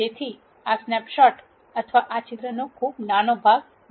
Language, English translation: Gujarati, So, this would be a snapshot or a very small part of this picture